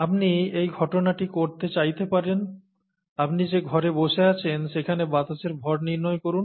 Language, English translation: Bengali, You may want to do this calculation, find out the mass of air in the room that you are sitting in